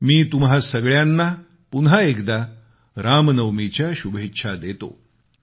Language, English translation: Marathi, Once again, my best wishes to all of you on the occasion of Ramnavami